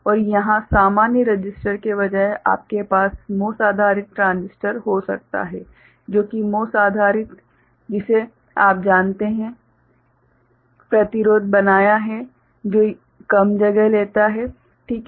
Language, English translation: Hindi, And here instead of normal resistor, you can have MOS based transistor, which is MOS based you know